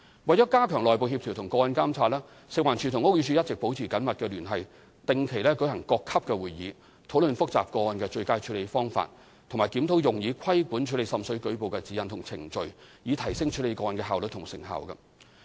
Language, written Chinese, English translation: Cantonese, 為加強內部協調和個案監察，食環署和屋宇署一直保持緊密聯繫，定期舉行各級會議，討論複雜個案的最佳處理方法，以及檢討用以規管處理滲水舉報的指引和程序，以提升處理個案的效率和成效。, To strengthen internal coordination and case monitoring FEHD and BD have been maintaining close liaison through regular meetings at all levels . The meetings discuss how best to tackle complicated seepage cases and review guidelines and procedures governing the handling of water seepage reports so as to enhance the efficiency and effectiveness in handling seepage cases